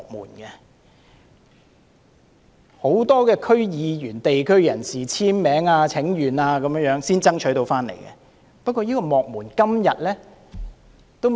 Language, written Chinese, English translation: Cantonese, 這是很多區議員、地區人士簽名請願下才爭取到的結果。, This is the fruit of the signature campaigns and petitions launched by a number of District Council members and the local community